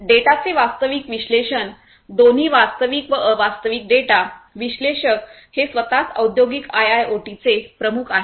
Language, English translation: Marathi, Analysis of data both real time non real time data; the analytics itself is core to industrial IoT